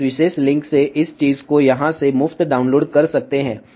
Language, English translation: Hindi, You can download this thing free from this particular link over here